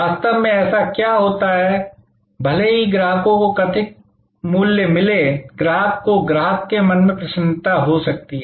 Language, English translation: Hindi, In reality, what happens is that, even though the customers perceived value, the customer may be delighted in customers mind